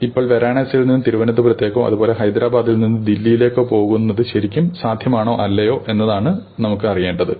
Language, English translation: Malayalam, We want to know is it really possible go from say Varanasi to Trivandrum or is it not possible, is it possible to go from Hyderabad to Delhi or is it not possible